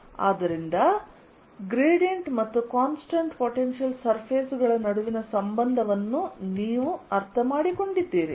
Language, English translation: Kannada, so you understood the relationship between gradient and constant potential surfaces